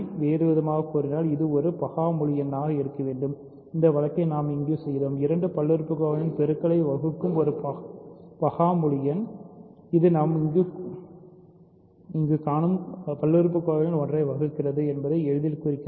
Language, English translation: Tamil, In other words in which case it has to be a prime integer and we did that case here a prime integer dividing a product of two polynomials easily implies that it divides one of the polynomials that we have settled here in case 1